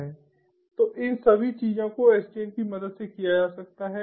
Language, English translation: Hindi, so all these things can be done with the help of sdn